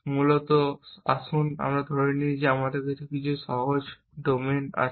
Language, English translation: Bengali, So, let us that is assume that we have some simple domain